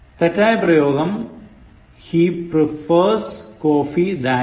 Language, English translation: Malayalam, Correct usage: He prefers coffee to tea